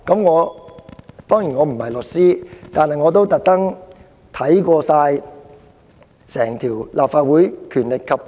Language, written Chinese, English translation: Cantonese, 我並非律師，但我亦特意就此翻閱《立法會條例》。, I am not a lawyer but I have also taken the trouble to read the Legislative Council Ordinance